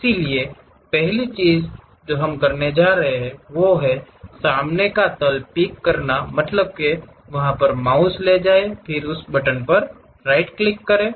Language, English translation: Hindi, So, first thing what we are going to do is pick the front plane; pick means just move your mouse, then give a right click of that button